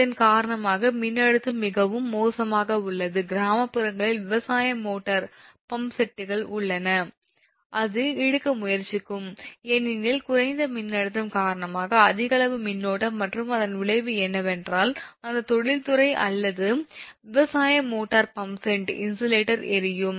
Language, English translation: Tamil, so voltage is very poor, ah, because of this, if the voltage is very poor, naturally that ah, you have a agricultural motor prompts here at rural areas and it will try to draw you are not to call, because of low voltage, that use amount of current and because of that, the consequent effectives that you are, what you call that industry or that agricultural motor prompt said that your insulation will born right